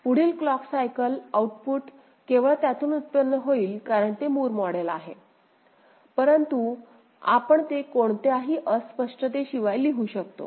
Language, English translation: Marathi, Next clock output will generate from this only because it is Moore model, but we can write it without any ambiguity